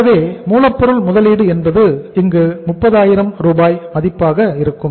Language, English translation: Tamil, So raw material investment is how much 30,000 worth of rupees we are going to make here